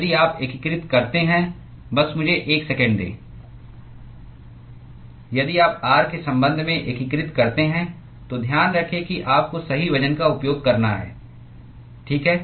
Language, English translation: Hindi, If you integrate just give me a second if you integrate with respect to r, so keep in mind that you have to use the correct weights, okay